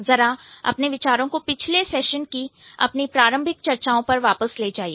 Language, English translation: Hindi, So, um, go back to my initial discussions in the previous session